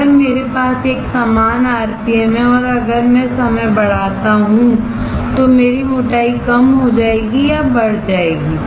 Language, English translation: Hindi, If I have a uniform rpm and if I increase the t ime my thickness will decrease or increase